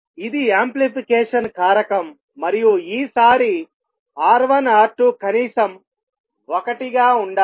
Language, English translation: Telugu, Amplification factor actually should be larger than R 1 and R 2